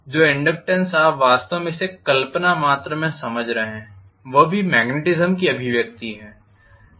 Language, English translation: Hindi, The inductance what you are actually putting it fictitious quantity that is also manifestation of magnetism